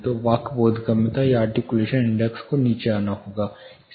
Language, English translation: Hindi, So, the speech intelligibility or articulation index has to come down